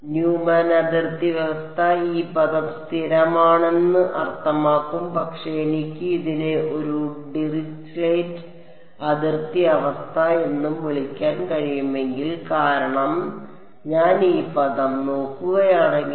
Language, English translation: Malayalam, Neumann boundary condition is would mean that this term is constant, but this if I can also call it a Dirichlet boundary condition because if I look at this term